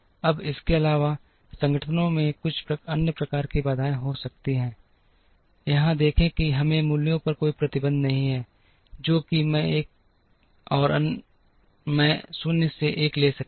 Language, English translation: Hindi, Now, in addition organizations may have some other kind of constraints, see here we do not have any restriction on the values, that I t and I t minus 1 can take